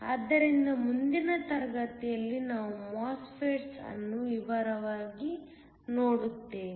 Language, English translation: Kannada, So, next class we will look at MOSFETS in detail